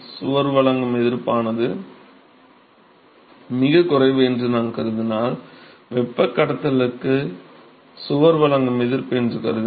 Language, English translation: Tamil, So, if I assume that the resistance offered by the wall is negligible; if assume that the resistance offered by wall for conduction